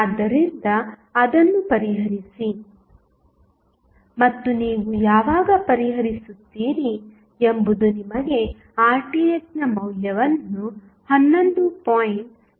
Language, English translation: Kannada, So, just solve it and when you will solve you will get the value of our Rth 11